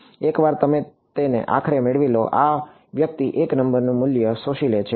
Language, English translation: Gujarati, Once you get it finally, this guy absorbs a number one value